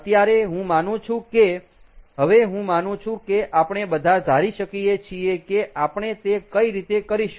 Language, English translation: Gujarati, i think right now, by now, i think all of us are pretty, i think we can all guess as to how we are going to do it